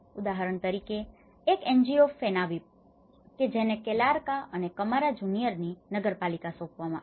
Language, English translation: Gujarati, For example, an NGO ‘Fenavip’ which has been assigned the municipality of Calarca and Camara Junior